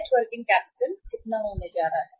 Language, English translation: Hindi, Net working capital is going to be how much